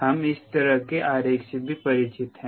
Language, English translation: Hindi, alright, we also are familiar with this two diagram